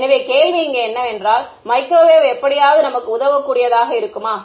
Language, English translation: Tamil, So, here is the question that can microwave help us in anyway right